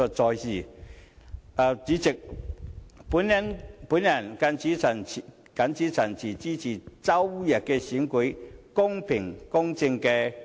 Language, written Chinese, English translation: Cantonese, 代理主席，我謹此陳辭，支持周日的選舉公平公正地舉行。, With these remarks Deputy President I support the fair and just conduct of the election to be held on Sunday